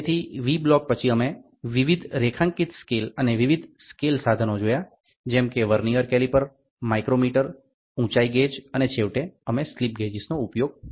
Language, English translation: Gujarati, So, V block then we saw various graduated scales and different scale instruments Vernier caliper, micrometer, height gauge and then finally, we saw use of slip gauges